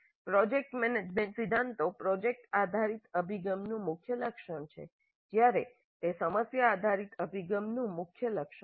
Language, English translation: Gujarati, So the project management principles that is not a key feature of problem based approach while it is a key feature of project based approach